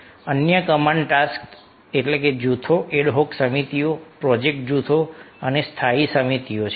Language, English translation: Gujarati, other command task groups are ad hoc committees, project groups and standing committees